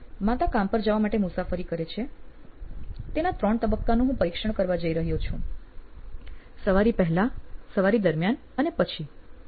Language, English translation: Gujarati, So, I am going to examine three phases of mom riding to work one is before, during and after